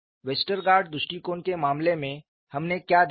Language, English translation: Hindi, In the case of Westergaard approach what we saw